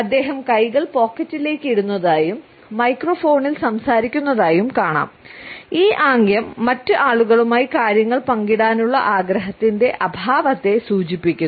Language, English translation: Malayalam, We find that he has thrust his hands into his pockets and he is talking into microphones and this gesture alone indicates the absence of the desire to share things with other people